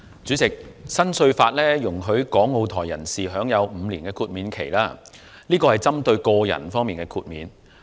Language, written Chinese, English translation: Cantonese, 主席，新稅法容許港澳台人士享有5年豁免期，但這安排只針對個人。, President the new tax law allows people from Hong Kong Macao and Taiwan to enjoy a five - year exemption but this arrangement is only for individuals